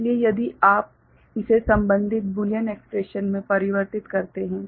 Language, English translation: Hindi, So, if you then convert it to corresponding Boolean expression